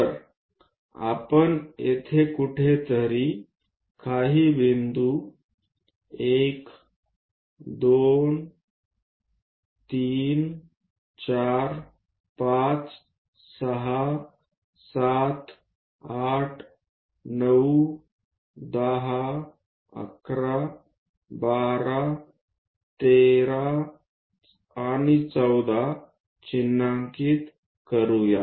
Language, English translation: Marathi, So, let us mark few points somewhere here, 1, 2, 3, 4, 5, 6, 7, 8, 9, maybe 10, 11, 12, 13 and 14